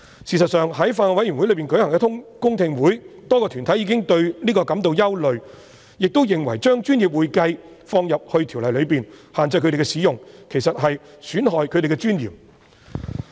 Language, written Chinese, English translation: Cantonese, 事實上，在法案委員會舉行的公聽會上，多個團體已表達對此感到憂慮，亦認為將"專業會計"這稱謂納入《條例》內，並限制他們使用，其實在損害他們的尊嚴。, In fact at the public hearing of the Bills Committee many deputations have expressed such a concern . They considered that including the description professional accounting in the Ordinance will restrict their use of the term and will actually undermine their dignity